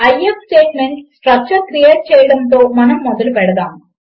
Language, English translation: Telugu, Lets start by creating the IF statement structure